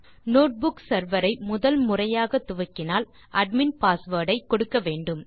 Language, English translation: Tamil, If we are starting the notebook server for the first time, we are prompted to enter the password for the admin